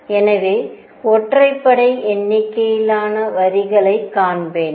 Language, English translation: Tamil, So, I would see odd number of lines